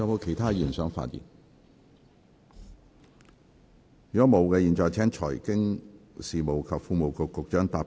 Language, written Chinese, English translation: Cantonese, 如果沒有，我現在請財經事務及庫務局局長答辯。, If not I now call upon the Secretary for Financial Services and the Treasury to rely